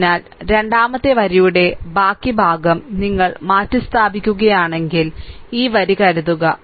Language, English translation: Malayalam, So, if you replace that rest of suppose second row ith row suppose suppose this row